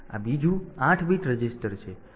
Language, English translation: Gujarati, So, this is another 8 bit register